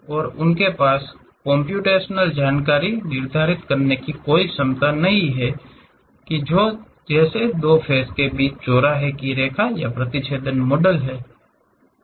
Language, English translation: Hindi, And, they do not have any ability to determine computational information such as the line of intersection between two faces or intersecting models